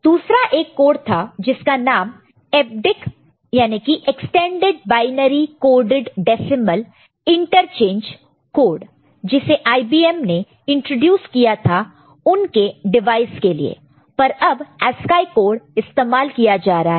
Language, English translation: Hindi, There was some other code which EBCDIC, extended binary coded decimal interchange code which IBM introduced for its device, but this ASCII code is now you will see it is prevalent and you know people are using it